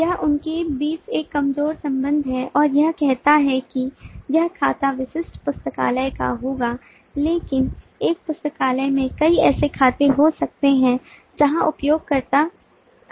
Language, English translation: Hindi, this is a weak association between them and it says that the account will belong to the specific library, but a library may have multiple such accounts where the users are coming in